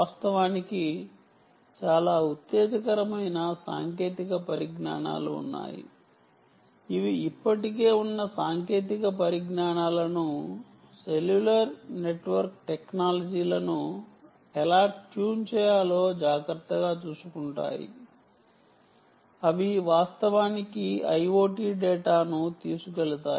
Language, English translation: Telugu, in fact, ah, there are very exciting technologies which take care of how to tune um, this existing technologies, cellular network technologies, in order in a manner that they can actually carry i o t data